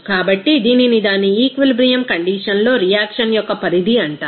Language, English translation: Telugu, So, this is called extent of reaction at its equilibrium condition